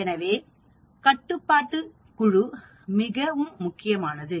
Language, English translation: Tamil, So, control group is very, very important